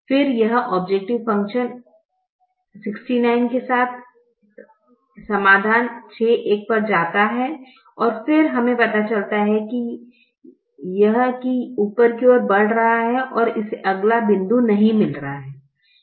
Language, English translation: Hindi, then it move to the solution six comma one with the objective function sixty nine, and then it it we realize that it is moving upwards and it is not getting the next point, therefore the feasible